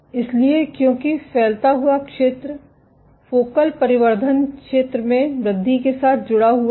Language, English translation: Hindi, So, because increasing spreading area is associated with increase in focal addition area